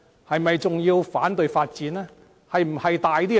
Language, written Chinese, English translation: Cantonese, 是否還要反對發展呢？, Does Hong Kong have to keep on decaying?